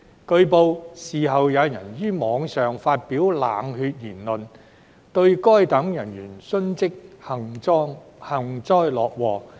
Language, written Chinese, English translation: Cantonese, 據報，事後有人於網上發表冷血言論，對該等人員殉職幸災樂禍。, It has been reported that after these incidents some people made cold - blooded remarks on the Internet gloating at such officers deaths while on duty